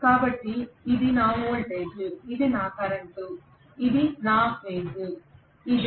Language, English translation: Telugu, So this is my voltage, this is my current, this is the case in single phase right